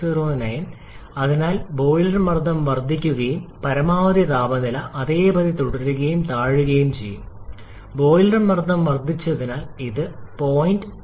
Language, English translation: Malayalam, 804 so boiler pressure has increased maximum temperature remains same and just come down from this point 9152